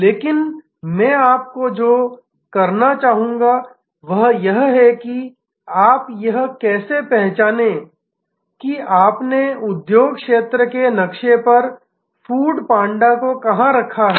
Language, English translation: Hindi, But, what I would like you to do is to identify that how do you put, where did you put food panda on the industry sector map